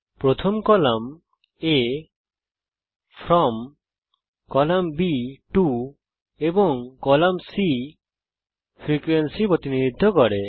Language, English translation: Bengali, the first column A represents the from class boundary.column b To and column c frequency